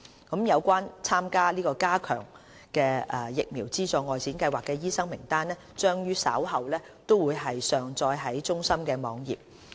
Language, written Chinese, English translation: Cantonese, 有關參加加強的疫苗資助外展計劃的醫生名單將於稍後上載至中心網頁。, A list of doctors participating in the enhanced outreach VSS will be uploaded to CHPs website in due course